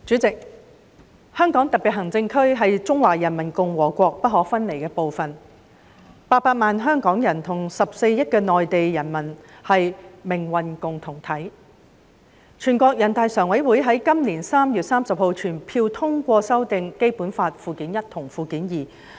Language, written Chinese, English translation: Cantonese, 代理主席，香港特別行政區是中華人民共和國不可分離的部分 ，800 萬香港人跟14億內地人民是命運共同體，全國人民代表大會常務委員會在今年3月30日全票通過修訂《基本法》附件一及附件二。, Deputy President the Hong Kong Special Administrative Region is an inalienable part of the Peoples Republic of China . The 8 million Hong Kong people and the 1.4 billion people in the Mainland share a common destiny . On 30 March this year the Standing Committee of the National Peoples Congress NPCSC passed the amended Annexes I and II to the Basic Law finalizing the methods for the selection of the Chief Executive and for the formation of the Election Committee EC and the Legislative Council in the future